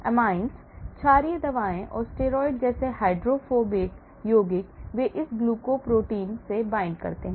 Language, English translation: Hindi, Amines; amines, basic drugs and hydrophobic compounds like steroids, they bind to this glycoprotein